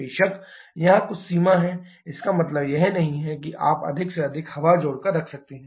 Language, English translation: Hindi, Of course, there is some limit, it does not mean that you can keep on adding more and more air